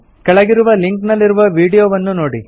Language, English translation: Kannada, Watch the video available the following link